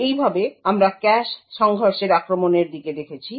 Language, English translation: Bengali, So, in this way we had looked at cache collision attacks